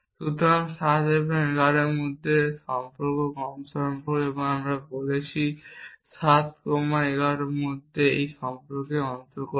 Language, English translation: Bengali, So, it is relation between 7 and 11 the less than relation and we are saying 7 comas 11 belong to this relation